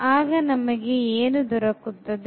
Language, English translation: Kannada, What we will get